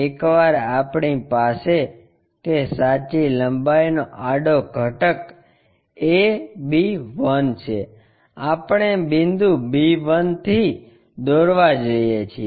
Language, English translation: Gujarati, Once, we have that a horizontal component of true length a b 1 we are going to draw from point b 1